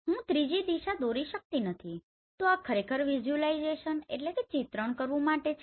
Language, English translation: Gujarati, I cannot draw the third direction so this is actually for the visualization